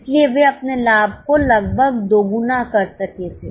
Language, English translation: Hindi, So, they could nearly double their profit